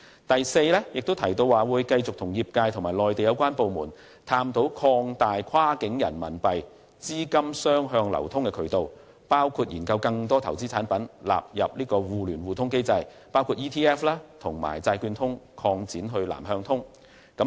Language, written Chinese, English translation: Cantonese, 第四，政府亦提到會繼續與業界和內地有關部門，探討擴大跨境人民幣資金雙向流通的渠道，並研究將更多投資產品納入互聯互通機制，包括把 ETF 和債券通擴展至"南向通"。, Fourth the Government will continue to explore with the industry and the Mainland authorities expansion of the channels for two - way flow of cross - border RMB funds and the possibility of including in the two - way mutual access mechanism a wider range of investment products such as the exchange - traded funds ETFs and extending the Mainland - Hong Kong Bond Connect to cover Southbound Trading